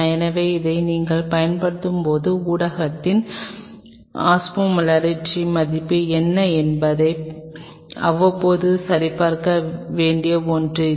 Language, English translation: Tamil, So, this is something which time to time you may need to check that what is the Osmolarity value of the medium what you are using